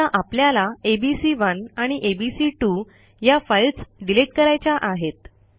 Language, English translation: Marathi, Suppose we want to remove this files abc1 and abc2